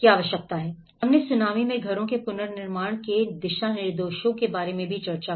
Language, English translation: Hindi, And again, we did discussed about the guidelines for reconstruction of houses in tsunami